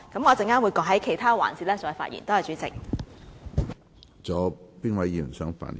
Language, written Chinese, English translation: Cantonese, 我稍後會在其他環節再發言，多謝主席。, I will speak again in the other sessions . Thank you President